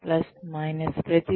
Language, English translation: Telugu, Plus, minus, everything